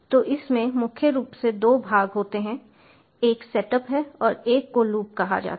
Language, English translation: Hindi, as i have told you, it consists of two parts: a setup part and the loop part